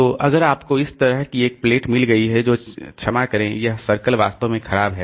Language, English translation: Hindi, So, so if we have got a plate like this, if we have got a plate like this, sorry, this circle is really bad